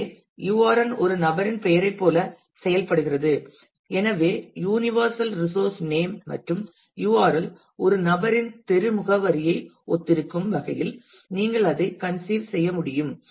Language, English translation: Tamil, So, URN functions like a person’s name; so, you can conceive it that way universal resource name and URL resembles that of a person’s street address